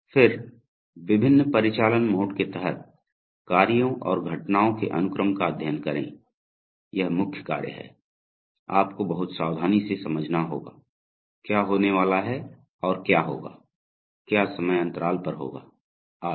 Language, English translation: Hindi, Then study the sequence of actions and events under the various operational modes, this is the main task, you have to very carefully understand, what is going to happen and what will happen after what, at what time intervals etc